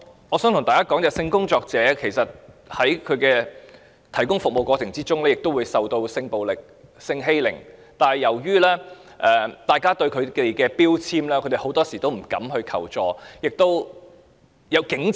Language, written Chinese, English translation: Cantonese, 我想告訴大家，其實性工作者在提供服務的過程中也會受到性暴力、性欺凌，但由於早被標籤，她們往往不敢求助。, I would like to point out that in the process of providing sex service sex workers may also be subject to sexual violence and abuse but they dare not seek assistance because they have already been labelled